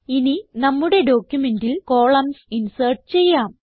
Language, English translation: Malayalam, Now lets insert columns into our document